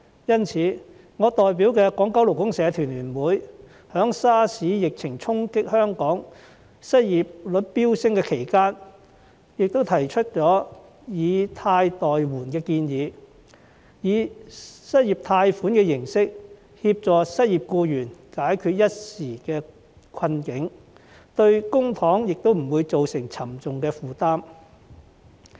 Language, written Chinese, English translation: Cantonese, 因此，我代表的勞聯在 SARS 疫情衝擊香港致失業率飆升的期間，提出了"以貸代援"的建議，以失業貸款的形式協助失業僱員解決一時之困，對公帑也不會造成沉重負擔。, Hence during the period when the SARS epidemic hit Hong Kong causing the unemployment rate to soar FLU which I represent put forward the proposal of providing loans as assistance to help unemployed workers resolve their immediate problems in the form of unemployment loans without imposing a heavy burden on the public coffers